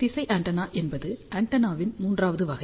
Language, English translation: Tamil, The third type of the antenna which is known as directional antenna